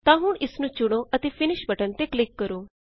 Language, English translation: Punjabi, So now, let us select it and click on the Finish button